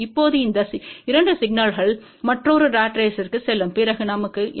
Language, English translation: Tamil, Now these 2 signal will go to another ratrace, then what we get